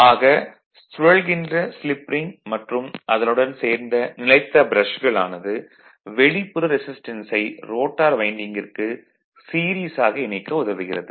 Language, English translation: Tamil, \ So, the revolving slip ring and you are associated stationary brushes enables us to connect external resistance in series with the rotor winding right